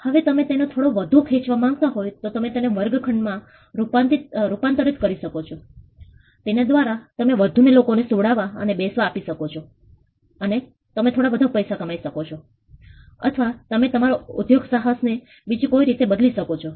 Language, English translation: Gujarati, Now if you want to stretch it a bit more further you can convert the room into a classroom by which you can make more people sit to then sleep and you can make some more money or you can change your enterprise into a different 1